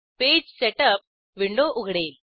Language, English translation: Marathi, The Page Setup window opens